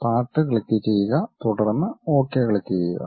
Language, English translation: Malayalam, Click Part, then click Ok